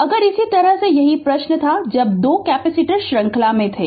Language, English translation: Hindi, Next similarly, the same same question was there for when 2 capacitors were in series right